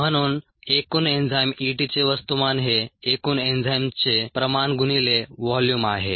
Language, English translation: Marathi, therefore, the mass of the total enzyme, e, t, is the concentration of the total enzyme times the volume